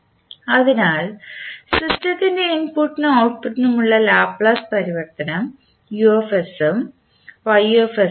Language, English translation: Malayalam, So, Laplace transform for the system’s input and output are as Us and Ys